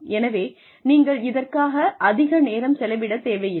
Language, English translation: Tamil, So, you do not really need to spend too much time